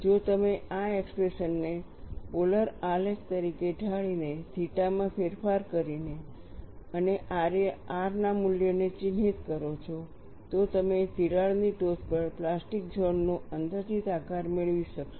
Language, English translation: Gujarati, If you plot this expression as a polar plot by varying theta and marking the values of r, you would be able to get an approximate shape of plastic zone at the crack tip